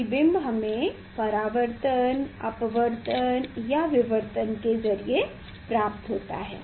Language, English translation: Hindi, We see through the reflection we see through the refraction; we see through the diffraction